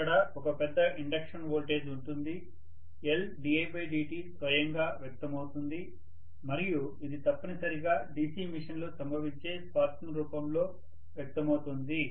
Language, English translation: Telugu, There will be a larger voltage induction, L di by dt will manifest by itself and that is essentially manifested in the form of sparking that occurs in the DC machine, Right